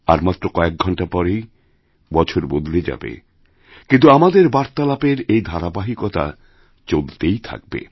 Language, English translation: Bengali, A few hours later, the year will change, but this sequence of our conversation will go on, just the way it is